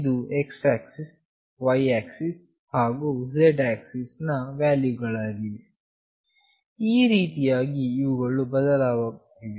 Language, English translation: Kannada, This is the x axis, y axis and z axis values, this is how they are changing